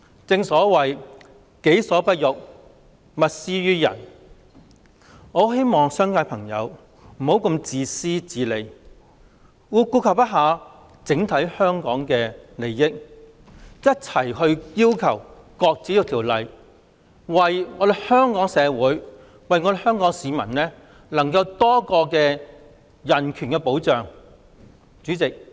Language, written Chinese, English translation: Cantonese, 正所謂"己所不欲，勿施於人"，我很希望商界的朋友不要如此自私自利，並顧及整體香港的利益，一併支持擱置《條例草案》，讓香港社會、市民能享有多一重人權保障。, As the Chinese saying goes never impose on others what you do not wish for yourself . I strongly wish that members of the business sector will refrain from being so selfish and self - interested take the overall interests of Hong Kong into account and support the shelving of the Bill altogether so as to enable the Hong Kong community and the public to be safeguarded by additional human rights